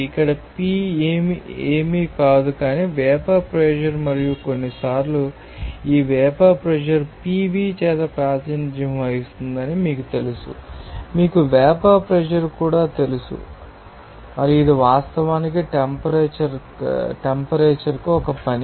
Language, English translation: Telugu, here P* is nothing but you know that vapor pressure and sometimes these vapor pressure will be represented by Pv also you know vapor pressure and it is actually a function of temperature